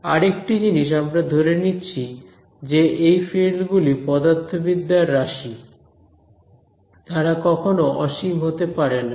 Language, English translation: Bengali, Another assumption we are making is that these fields are physical quantities they are not going to blow up to infinity